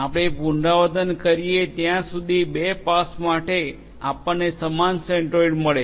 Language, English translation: Gujarati, We repeat until for two passes we get the same centroid